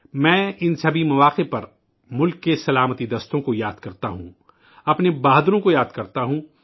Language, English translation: Urdu, On all these occasions, I remember the country's Armed Forces…I remember our brave hearts